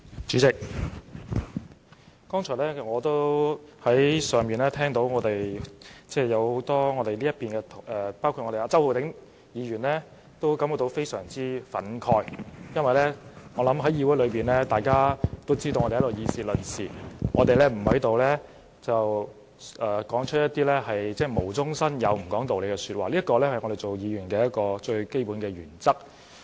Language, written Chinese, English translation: Cantonese, 主席，我剛才在辦公室聽到很多我方的議員，包括周浩鼎議員感到非常憤慨，我想大家均知道，我們在議會內議事論事，不會無中生有或不講道理，這是作為議員的最基本原則。, Chairman just now I was at my office listening to Members of my side speaking in the Council and many them were resentful including Mr Holden CHOW . I think Members know that when we speak at the Council we will not fabricate facts or be unreasonable . This is the basic principle of a Member